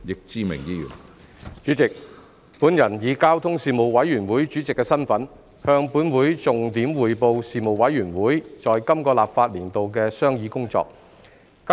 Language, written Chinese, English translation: Cantonese, 主席，本人以交通事務委員會主席的身份，向本會重點匯報事務委員會在本立法年度的商議工作。, President in my capacity as Chairman of the Panel on Transport the Panel I highlight to this Council the Panels deliberations in this legislative session